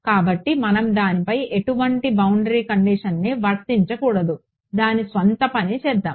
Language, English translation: Telugu, So, we should not apply any boundary condition on that, let's do its own thing